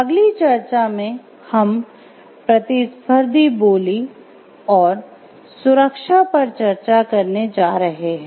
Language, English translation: Hindi, In the next discussion we are going to discuss about competitive bidding and safety